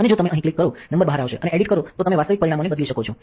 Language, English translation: Gujarati, And if you click the number out here and edit then you can change the actual parameters